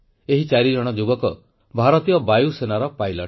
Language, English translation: Odia, All of them are pilots of the Indian Air Force